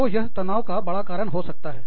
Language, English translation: Hindi, So, that can be a big stressor